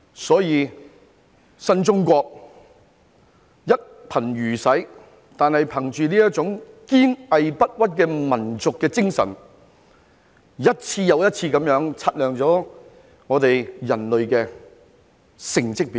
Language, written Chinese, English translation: Cantonese, 所以，新中國雖然一貧如洗，但憑着這種堅毅不屈的民族精神，一次又一次擦亮了我們人類的成績表。, Therefore even though the new China was in dire poverty we have polished the report card of mankind once and again with this resolute and unyielding national spirit